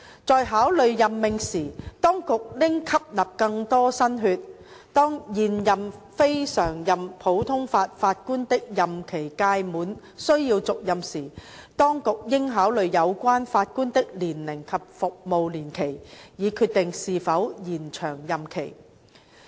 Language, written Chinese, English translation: Cantonese, 在考慮任命時，當局應吸納更多新血；當現任非常任普通法法官的任期屆滿需要續任時，當局應考慮有關法官的年齡及服務年期，以決定是否延長任期。, The authorities should introduce more new blood when considering appointments; when the term of an incumbent CLNPJ is due for renewal consideration should be given to his or her age and the period served in determining whether the tenure should be extended